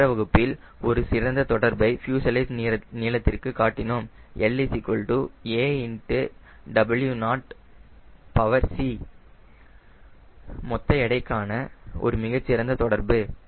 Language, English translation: Tamil, and you know, last class we have shown a very good correlation, fuselage length as a w naught to the power c, very good correlation with a gross weight